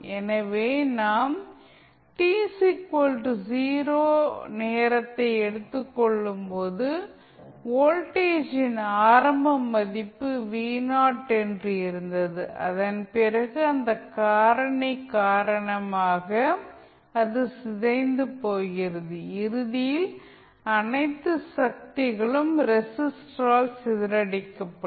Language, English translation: Tamil, So, when you it is decaying, when we take the time t is equal to 0, we know that the initial value of voltage was V Naught and then after that, because of this factor it is decaying, and eventually all energy would be dissipated in the resistor